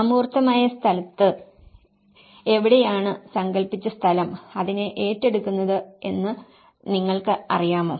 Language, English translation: Malayalam, In the abstract space, you know, that is where the conceived space takes over it